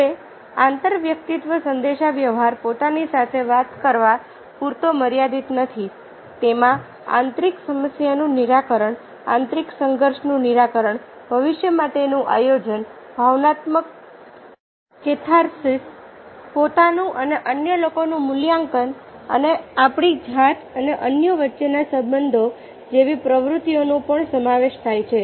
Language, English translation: Gujarati, it also includes such activities as internal problem solving, resolution of internal conflict, planning for the future, emotional catharsis, evaluations of ourselves and others and the relationship between ourselves and others